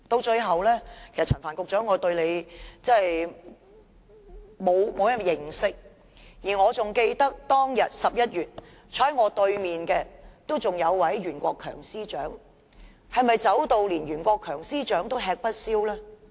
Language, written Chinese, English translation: Cantonese, 最後，我其實不甚認識陳帆局長，我記得11月時，坐在我對面的還是前任司長袁國強，是否連袁國強司長也吃不消呢？, Lastly I wish to say that I actually do not quite know Secretary Frank CHAN . I remember last November the public officer sitting in the opposite side was still the former Secretary for Justice Rimsky YUEN . Is it that even Rimsky YUEN could not take it anymore?